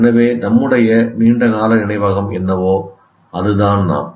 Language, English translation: Tamil, So we are what our long term memory is